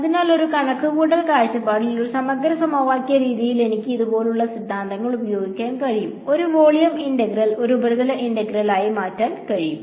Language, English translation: Malayalam, So, from a computational point of view, the advantage is that in an integral equation method what I can use theorems like this, to convert a volume integral into a surface integral